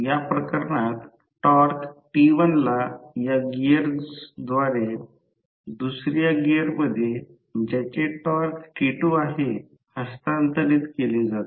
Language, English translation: Marathi, In this case t1 through these gears is transferred to the second gear that is having torque T2